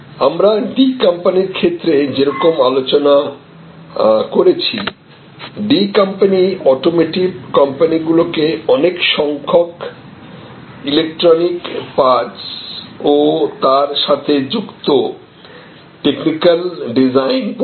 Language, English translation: Bengali, So, as we discussed in case of D company the D company provides large number of electronic parts and associated technical design services to automotive companies